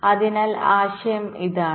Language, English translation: Malayalam, ok, so the idea is this